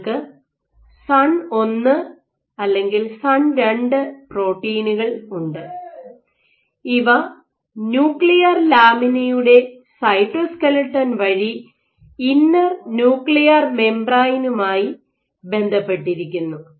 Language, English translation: Malayalam, So, you have SUN 1 or SUN 2 and these in turn associate with the inner nuclear membrane, through the cytoskeleton of the nuclear lamina ok